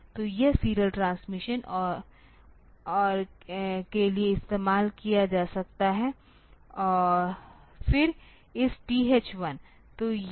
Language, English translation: Hindi, So, the it can be used for the serial transmission and then this TH 1